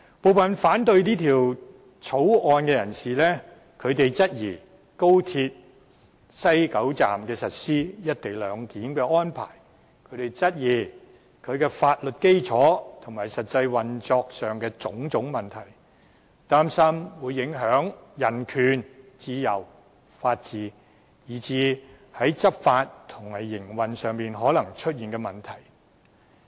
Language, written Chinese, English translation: Cantonese, 部分人士反對這項《廣深港高鐵條例草案》，質疑在高鐵西九站實施"一地兩檢"的安排；質疑相關法律基礎和實際運作上的種種問題；擔心會影響人權、自由、法治，以至在執法和營運上可能出現的問題。, Some people who oppose this Guangzhou - Shenzhen - Hong Kong Express Rail Link Co - location Bill the Bill question the wisdom of implementing the co - location arrangement at the West Kowloon Station WKS of the Hong Kong Section of the Guangzhou - Shenzhen - Hong Kong Express Rail Link XRL raising all sorts of doubts regarding the legal basis and actual operation and fretting over the impacts on human rights freedom and the rule of law as well as the complications of law enforcement and operation that may arise